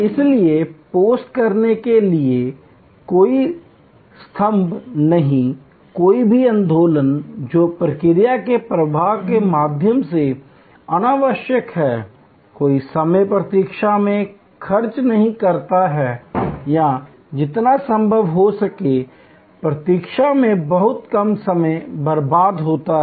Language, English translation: Hindi, So, no pillar to post, no movement which is unnecessary through the process flow, no time spend waiting or as little time wasted in waiting as possible